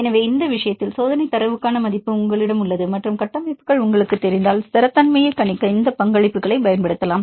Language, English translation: Tamil, So, in this case you have the value for the experimental data and if you know the structures; you can use these contributions to predict the stability